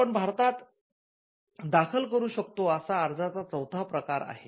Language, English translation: Marathi, So, that is the fourth type of application you can file in India